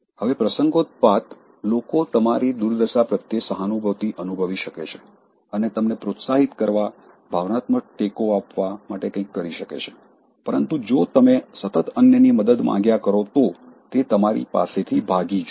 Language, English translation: Gujarati, Now, occasionally people can sympathize with your plight and do something to encourage you, give emotional support, but they will run away from you if you demand help from others constantly